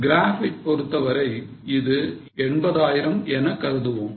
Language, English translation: Tamil, As for the graph, let us assume it is around 80,000